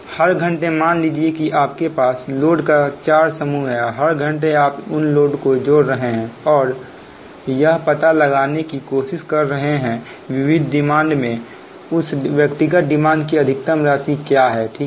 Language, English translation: Hindi, that every hour, suppose you have a four groups of load, every hour you are adding, adding those load and trying to find out what is the maximum sum right of the individual demand to the diversified demand over a specific time interval